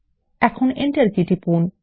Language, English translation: Bengali, Now press the Enter key